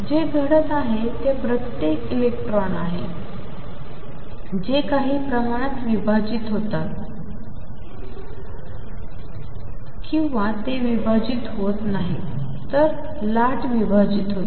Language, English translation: Marathi, What is happening is each electron that comes somehow gets divided it does not get divided it is wave gets divided